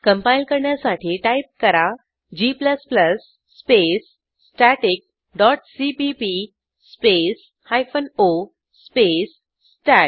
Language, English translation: Marathi, To compile type g++ space static dot cpp space hyphen o space stat